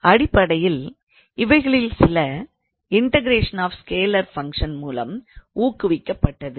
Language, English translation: Tamil, So, it is basically some are motivated from the integration of scalar function